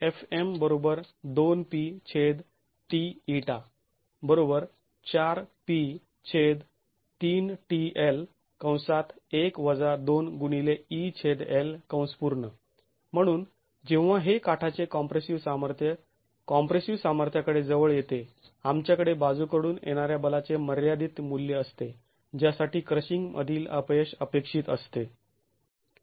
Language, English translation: Marathi, So, when this edge compressive stress approaches the compressive strength, we have a, we have the limiting value of lateral force for which the failure in crushing is expected